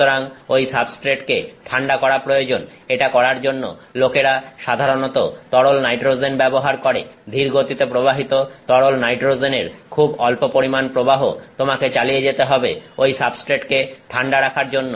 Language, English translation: Bengali, So, you need to cool the substrate, to do that people typically use liquid nitrogen; slowly flowing liquid nitrogen very small amounts you keep flowing to keep the substrate cooled